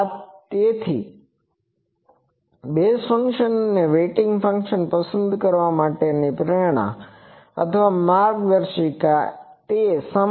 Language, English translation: Gujarati, So, the motivation or the guideline for choosing the basis function and weighting function they are same